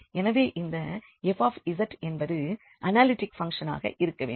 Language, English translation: Tamil, So, this function is an analytic is analytic function